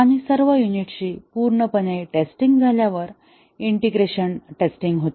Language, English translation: Marathi, And once a unit, all the units have been fully tested, we do the integration testing